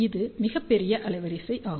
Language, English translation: Tamil, You can see that it is a very large bandwidth